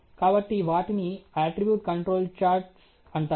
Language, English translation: Telugu, So, they are known as attribute control charts